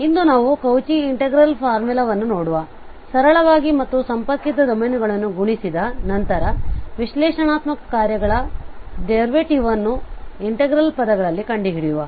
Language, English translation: Kannada, So today we will cover the Cauchy integral formula for simply and multiply connected domains and then we will move to the derivative of analytic functions in terms of the integral we will see that we can find the derivative of an analytic function